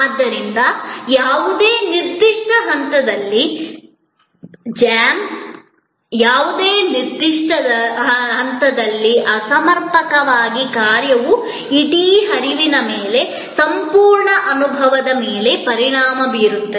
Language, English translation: Kannada, Therefore, a jam at any particular point, a malfunction at any particular point can affect the whole flow, the whole experience